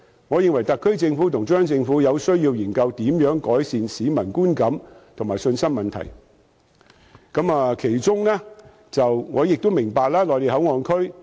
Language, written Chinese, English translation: Cantonese, 我認為特區政府和中央政府除了解釋，亦有需要研究如何改善市民的觀感和信心。我明白內地口岸區......, Apart from giving explanations I think it is also necessary for the SAR Government and the Central Government to enhance public perception and confidence